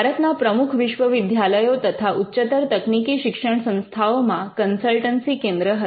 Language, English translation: Gujarati, And we had centres for consultancy in the major universities in and higher technical institutions in India